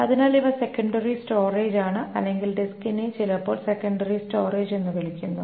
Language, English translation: Malayalam, So these are secondary storage or the disk is sometimes called the secondary storage